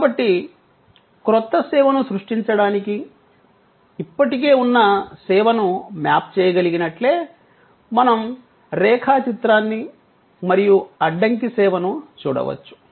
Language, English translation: Telugu, So, just as we can map an existing service to create a new service, we can look at the flow chart and debottleneck service